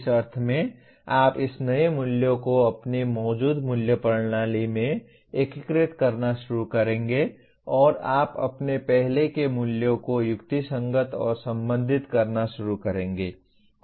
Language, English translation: Hindi, In the sense you will start integrating this new values into your existing value system and you start rationalizing and relating to your earlier values